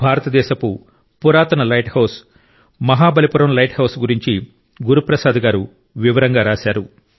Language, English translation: Telugu, Guru Prasad ji has also written in detail about the oldest light house of India Mahabalipuram light house